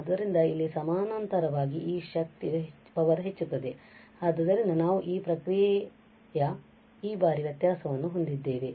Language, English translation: Kannada, So, here parallelly this power will increase so we will have this n times differentiation or this process